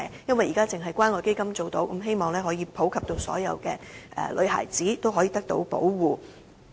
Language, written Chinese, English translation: Cantonese, 現時只有關愛基金提供有關服務，我希望能夠普及讓所有女孩子均受到保護。, At present the service concerned is provided through CCF only . I hope to see the popularization of this service so as to accord protection to all teenage girls